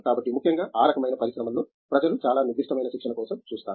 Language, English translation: Telugu, So, especially in those kinds of industries people look for very specific training